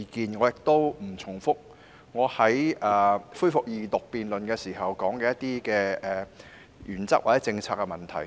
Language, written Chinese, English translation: Cantonese, 我不會重複我在恢復二讀辯論時說過的原則或政策問題。, I am not going to repeat the principles or policy issues that I talked about during the debate on the resumption of the Second Reading